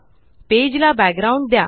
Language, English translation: Marathi, Give a background to the page